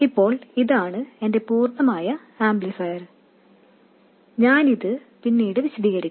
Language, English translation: Malayalam, Now, this is my complete amplifier and I will explain this later